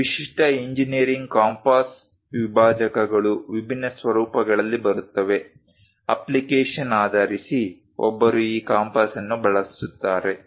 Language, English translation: Kannada, So, typical engineering compass dividers come in different formats; based on the application, one uses this compass